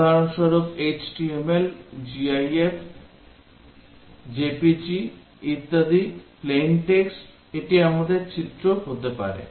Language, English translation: Bengali, For example, HTML, GIF, JPEG, etcetera, Plain Text, this can be our images